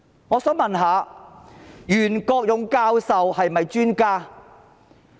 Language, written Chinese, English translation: Cantonese, 我想問，袁國勇教授是不是專家？, I would like to ask Is Prof YUEN Kwok - yung not an expert?